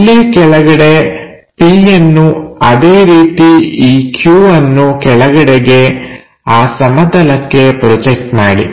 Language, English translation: Kannada, So, somewhere here p, similarly project this Q all the way down onto that plane